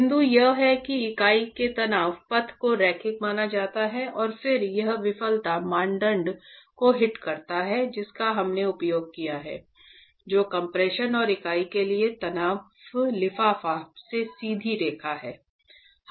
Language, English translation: Hindi, The point is the stress path in the unit is assumed to be linear and then it hits the failure criterion that we have used which is the straight line in compression and tension envelope for the unit